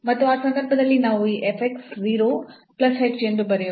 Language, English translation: Kannada, And in that case we can write down this f x 0 plus h